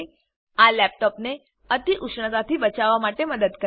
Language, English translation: Gujarati, This helps to keep the laptop from overheating